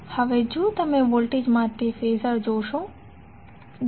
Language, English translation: Gujarati, Now if you see Phasor for voltage